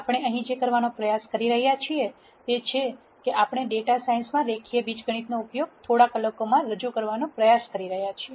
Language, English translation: Gujarati, What we are trying to do here is we are trying to introduce the use of linear algebra in data science in a few hours